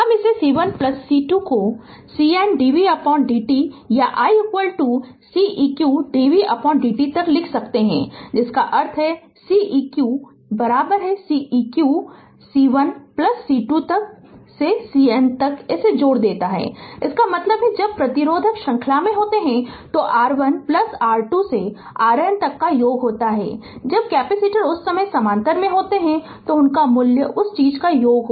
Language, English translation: Hindi, I can write we can write I C 1 plus C 2 up to C N dv by dt or i is equal to C q dv by dt ; that means, C eq is equal to C 1 plus C 2 up to C N sum it up; that means, when resistor are in the series we are summing r 1 plus r 2 up to r n say when the capacitors are in parallel at that time their value will be that thing will be summed up right